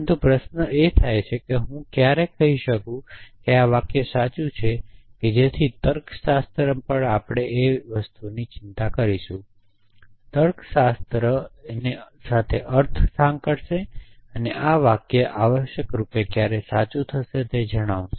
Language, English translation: Gujarati, But the question arises as to when can I say that this sentence is true so logic will also we concern that semantics associate that when is this sentence true essentially